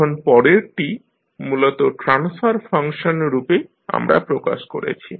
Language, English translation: Bengali, Now, next is to basically we have represented in the form of transfer function